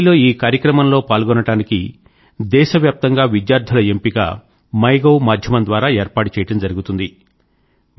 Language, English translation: Telugu, Students participating in the Delhi event will be selected through the MyGov portal